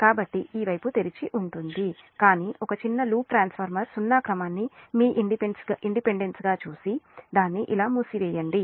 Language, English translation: Telugu, this side will remain open, but make a small loop, make the transformer zero sequence, your impedance, and just close it like this